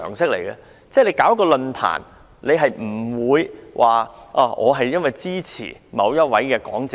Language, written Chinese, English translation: Cantonese, 如你舉辦一個論壇，不會只邀請支持你的講者。, Organizers of a forum will not just invite speakers on their side